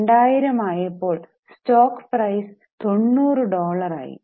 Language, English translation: Malayalam, And in 2000, the stock price reached a level of $90